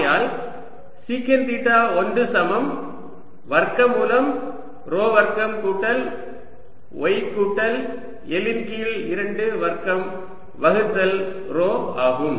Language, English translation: Tamil, tangent theta two is equal to squared of rho square plus y minus n by two square over rho